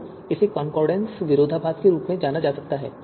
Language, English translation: Hindi, So this is referred as Condorcet paradox